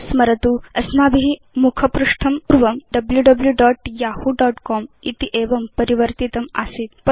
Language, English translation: Sanskrit, Remember we changed the home page to www.yahoo.com earlier on